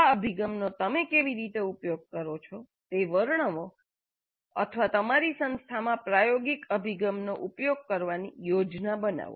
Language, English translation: Gujarati, Describe how you use or plan to use experiential approach in your institution